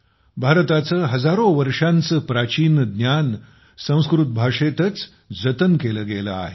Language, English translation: Marathi, Much ancient knowledge of India has been preserved in Sanskrit language for thousands of years